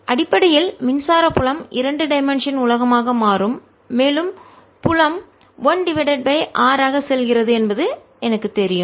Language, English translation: Tamil, essentially, electric field becomes a two dimensional world and i know, indeed, there the field goes s over r